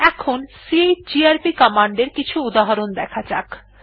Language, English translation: Bengali, Now we will look at some examples of chgrp command